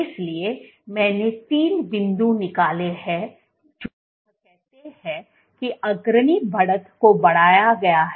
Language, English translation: Hindi, So, I have drawn three points let us say where the leading edge extended